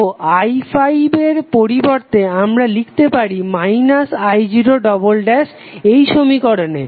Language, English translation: Bengali, So instead of i5 we can write minus i0 double dash in this equations